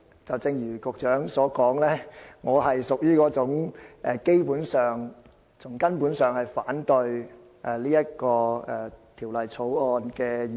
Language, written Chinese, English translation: Cantonese, 正如局長所說，我是那種從根本上反對《2017年稅務條例草案》的議員。, As described by the Secretary I am among those Members who oppose the Inland Revenue Amendment No . 2 Bill 2017 the Bill fundamentally